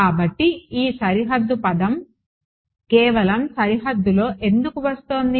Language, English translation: Telugu, So, that is why this boundary term is coming just on the boundary